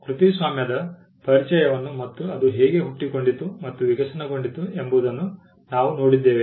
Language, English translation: Kannada, We just saw the introduction to copyright and how it originated and evolved over a period of time